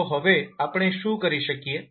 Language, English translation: Gujarati, So what we can do now